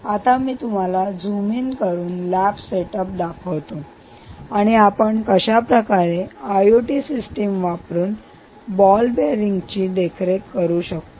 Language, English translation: Marathi, and let me now zoom in and show you a lab setup of what we are trying to do in thought: putting together an i o t system for condition monitoring of ball bearings